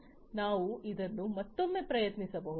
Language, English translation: Kannada, So, we can try it out once again